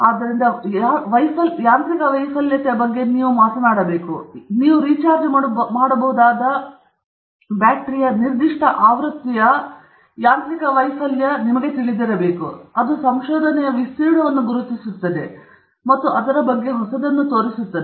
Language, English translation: Kannada, So, you have to talk about the failure mechanism; you have to say, you know, mechanical failure of a particular version of a rechargeable battery; then that will be something that both identifies the area of research and also highlights what’s new about it